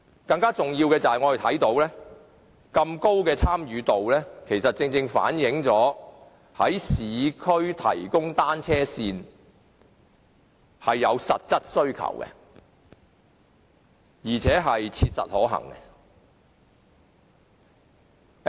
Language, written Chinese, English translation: Cantonese, 更重要的是，我們看到市民有如此高度的參與，正正反映在市區提供單車線是有實質的需求，亦切實可行。, More importantly we have seen a high degree of public participation which precisely reflects that there is an actual demand for the provision of cycle lanes in the urban areas and it is also practicable